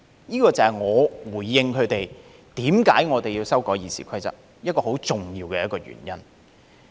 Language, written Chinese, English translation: Cantonese, 這個就是我回應他們為何我們要修改《議事規則》一個很重要的原因。, This is my reply to their question about why we have to amend the Rules of Procedure and a very important underlying reason